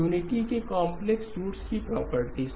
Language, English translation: Hindi, Properties of the complex roots of unity